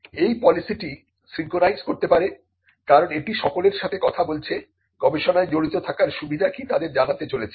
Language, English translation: Bengali, This policy can synchronize it because the policy is going to speak to everyone it is going to tell them what are the benefits of engaging in research